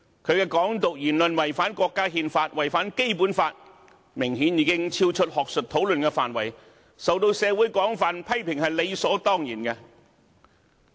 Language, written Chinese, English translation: Cantonese, 他的"港獨"言論違反國家憲法、違反《基本法》，明顯已經超出學術討論的範圍，受到社會廣泛批評是理所當然的。, His Hong Kong independence remark violates the national Constitution and the Basic Law and obviously steps beyond the scope of academic discussion . It is a matter of course that he came under widespread criticisms from society